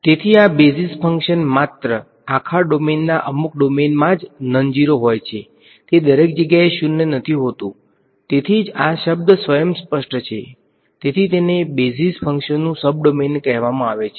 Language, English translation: Gujarati, So, this basis function is non zero only in a some domain of the entire domain it is not nonzero everywhere right that is why the word is self explanatory that is why it is called a sub domain basis function